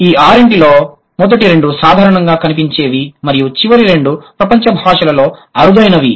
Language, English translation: Telugu, And the last two are the rarest ones in the world's languages